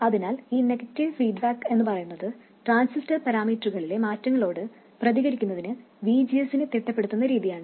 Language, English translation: Malayalam, So essentially this negative feedback is a way of adjusting the VGS in response to changes in transistors parameters